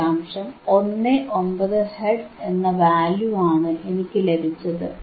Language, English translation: Malayalam, 19 hertz, alright